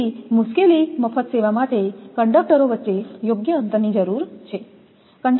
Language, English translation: Gujarati, So, trouble free service requires proper spacing of conductors